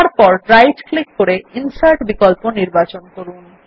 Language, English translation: Bengali, Then right click and choose the Insert option